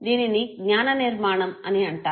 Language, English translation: Telugu, This is called memory construction